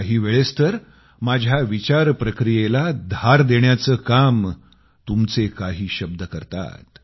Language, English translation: Marathi, There are times when some of your words act as a catalyst in sharpening my thought process